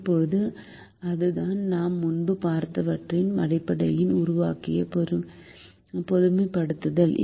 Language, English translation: Tamil, now that is the generalization that we have made based on what we have seen earlier